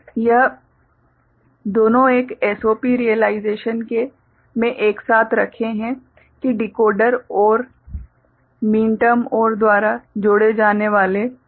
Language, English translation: Hindi, These two put together in a SOP realization that Decoder OR, the minterms getting added by OR ok